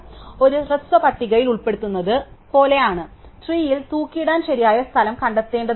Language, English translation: Malayalam, So, is like insertion in a shorted list, except we have to find that correct place in the tree to hang it